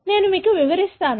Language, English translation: Telugu, I will explain to you